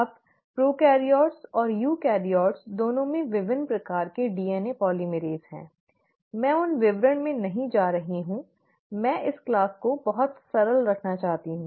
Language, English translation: Hindi, Now there are different types of DNA polymerases both in prokaryotes and eukaryotes, I am not getting into details of those, I want to keep this class very simple